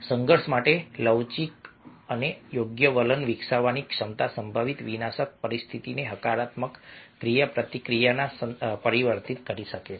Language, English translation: Gujarati, the ability to develop a flexible and appropriate attitude to conflict can transform a potentially destructive situation into a positive interaction